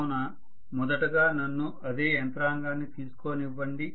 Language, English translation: Telugu, So let me first of all take the same mechanism